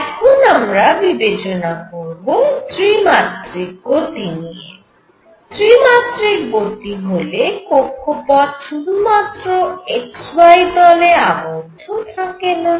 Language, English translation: Bengali, And in the 3 dimensional case what happens this orbit need not be confined to only x y plane